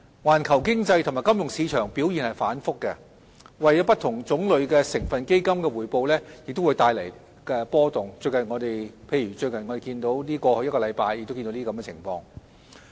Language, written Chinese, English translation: Cantonese, 環球經濟及金融市場表現反覆，為不同種類成分基金的回報帶來波動，例如我們在過去一個星期亦看到這種情況。, Volatility in the global economy and financial markets has led to fluctuations in the returns of different kinds of constituent funds . For instance we have also seen such a situation over the past week